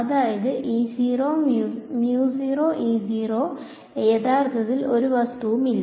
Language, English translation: Malayalam, That means there is actually no object